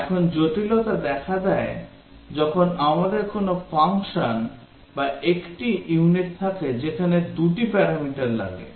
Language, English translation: Bengali, Now, the complexity arises when we have a function or a unit that takes two parameters